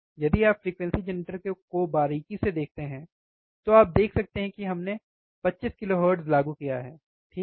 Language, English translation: Hindi, If you closely see as a frequency generator, you can see that we have applied 25 kilohertz, right